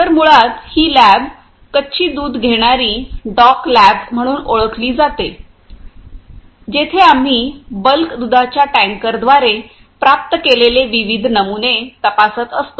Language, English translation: Marathi, So, basically this lab is known as raw milk receiving dock lab, where we are checking the various samples which are received by the bulk milk tankers